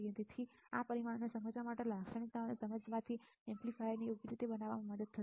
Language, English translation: Gujarati, So, so, understanding this parameters and understanding this characteristic would help us to design the amplifier accordingly right